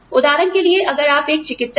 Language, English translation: Hindi, For example, if you are doctor